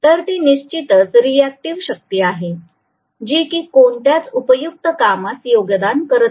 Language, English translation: Marathi, So that is essentially the reactive power, so it does not go or contribute towards any useful work